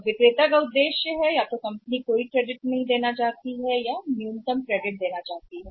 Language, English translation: Hindi, Now the objective of the seller is that the company want give either no credit or the minimum credit